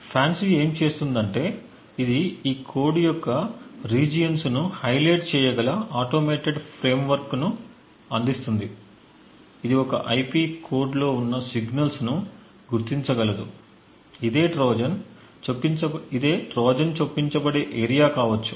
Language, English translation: Telugu, What FANCI does is that it provides an automated framework which could highlight regions of this code, it could identify signals present within an IP code which could potentially be areas where a Trojan may be inserted